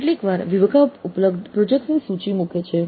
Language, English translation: Gujarati, Sometimes the department puts up a list of the projects available